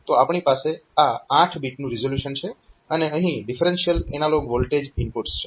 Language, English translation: Gujarati, So, we have got this 8 bit resolution an differential analog input voltage inputs